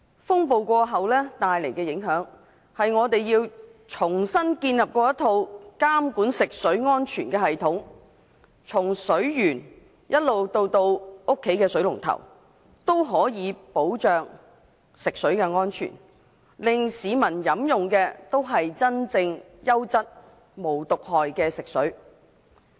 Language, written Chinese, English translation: Cantonese, 風暴過後，帶來的影響是我們要重新建立一套監管食水安全的系統，從水源到家裏的水龍頭，都可以保障食水安全，令市民飲用的，都是真正優質、無毒害的食水。, As an aftermath of the storm we need to rebuild our regulatory regime to ensure the safety of water from source to tap in order to supply Hong Kong people with reliable non - toxic drinking water